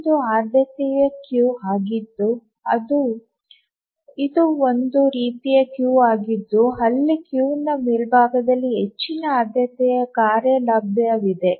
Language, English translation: Kannada, If you can recollect what is a priority queue, it is the one, it's a type of queue where the highest priority task is available at the top of the queue